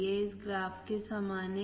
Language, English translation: Hindi, This is similar to what this graph shows